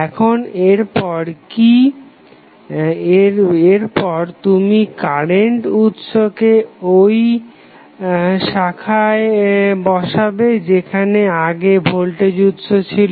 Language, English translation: Bengali, Now, next is that, when you will place the current in that branch where voltage source was connected